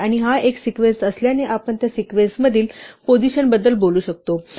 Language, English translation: Marathi, And since it is a sequence we can talk about positions in the sequence